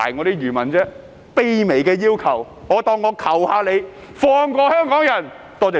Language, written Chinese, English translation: Cantonese, 這是個卑微的要求，當我求求你們，放過香港人！, This is my humble request . I beg you to please leave Hong Kong people alone!